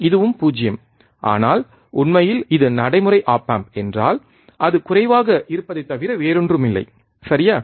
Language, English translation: Tamil, This also 0, but in reality, if it is practical op amp, it would be nothing but low, alright